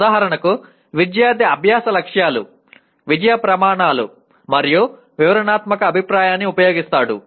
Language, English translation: Telugu, For example the student uses the learning goals, success criteria and descriptive feedback